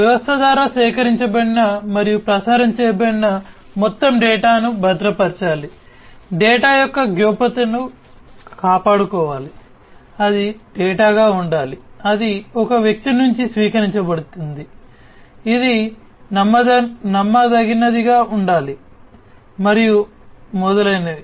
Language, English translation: Telugu, The overall the data that is collected and is transmitted through the system it has to be secured, the privacy of the data has to be maintained, it has to be the data that is received from one person, it has to be trustworthy and so on